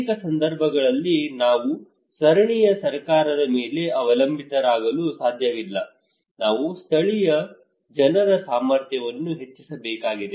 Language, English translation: Kannada, Also in many cases we cannot rely simply on the local government we have to enhance the capacity of the local people